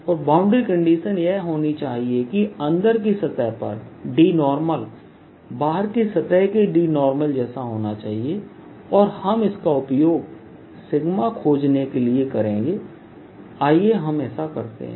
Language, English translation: Hindi, alright, and the boundary condition should be that d inside should be same as d here, the d perpendicular to the surface, and we'll use that to find sigma